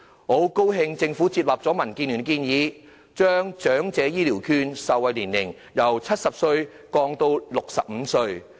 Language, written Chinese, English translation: Cantonese, 我很高興政府接納民主建港協進聯盟的建議，把長者醫療券受惠對象的年齡限制由70歲降至65歲。, I am glad that the Government has accepted the suggestion of the Democratic Alliance for the Betterment and Progress of Hong Kong to lower the age limit of beneficiaries of Elderly Healthcare Vouchers from 70 to 65